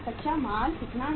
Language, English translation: Hindi, Raw material is how much